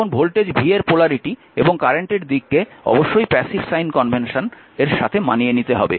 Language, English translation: Bengali, Now, the polarity of voltage v and the direction of the current i must conform with the passive sign convention as shown in figure 2